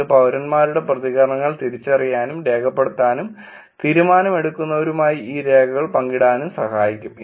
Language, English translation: Malayalam, It can also help sense and the record the reactions of citizens and share these records with decision makers